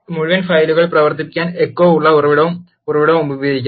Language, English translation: Malayalam, Source and Source with echo can be used to run the whole file